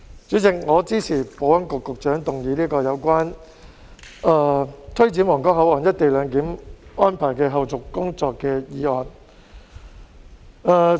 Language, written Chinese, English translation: Cantonese, 主席，我支持保安局局長動議這項有關推展皇崗口岸「一地兩檢」安排的後續工作的議案。, President I support the motion moved by the Secretary for Security on taking forward the follow - up tasks of implementing co - location arrangement at the Huanggang Port